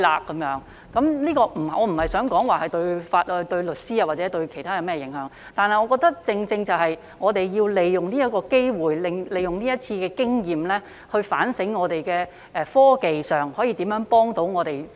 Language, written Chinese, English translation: Cantonese, 我並非想說這樣對律師或其他有甚麼影響，但我認為我們要好好利用這個機會和這次經驗，反省我們可如何在科技上協助提高我們的司法效率。, I am not trying to talk about the impact on lawyers or other people I think that we should seize this opportunity learn from the experience and do some soul searching as to how technologies can help to improve our judicial efficiency